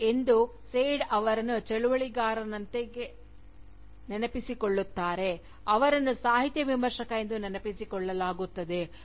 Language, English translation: Kannada, And today, Said, is as much remembered as an activist, as he is remembered as a Literary Critic